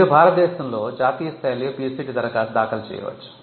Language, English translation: Telugu, You can also file a PCT in national phase application in India